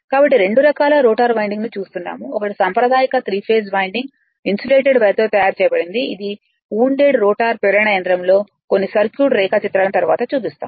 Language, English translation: Telugu, So, we use 2 types of rotor winding, one is that conventional 3 phase winding made of insulated wire, that that we call in the wound rotor induction motor some circuit diagram will show it later